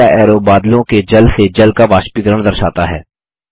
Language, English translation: Hindi, The third arrow shows evaporation of water from water to the clouds